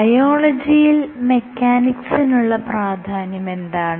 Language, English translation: Malayalam, So, why is mechanics important in biology